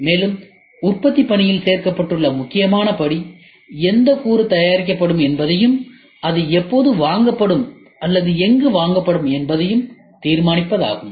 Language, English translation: Tamil, And, important step that is included in the manufacturing work is to determine which component will be made and when it will be made when it will be purchased or where it will be purchased